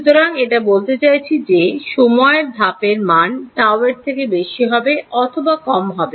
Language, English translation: Bengali, So, this implies at the time step should be greater than or less than this tau